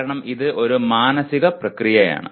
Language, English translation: Malayalam, Because it is a mental process